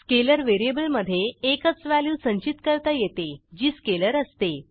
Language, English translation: Marathi, Scalar represents a single value and can store scalars only